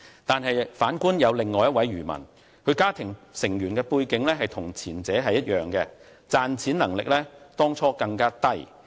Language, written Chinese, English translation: Cantonese, 但是，反觀另一名漁民，其家庭成員背景與前者一樣，賺錢能力當初更低。, The other fisherman is quite another story . The family background of this fisherman is the same as that of the first one and his ability to make a living is poor in the beginning